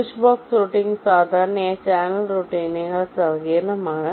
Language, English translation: Malayalam, switchbox routing is typically more complex than channel routing and for a switchbox